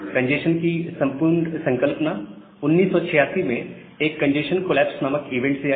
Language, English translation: Hindi, So, this entire concept of congestion came in 1986 from a event called a congestion collapse